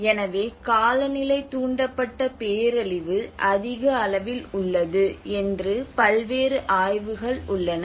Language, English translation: Tamil, So there have been various studies which actually address that climate induced disaster is on higher end